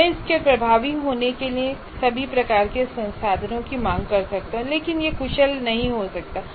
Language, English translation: Hindi, I can ask for all kinds of resources for it to be effective, but it may not be efficient